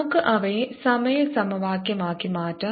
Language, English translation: Malayalam, lets convert them into the time equation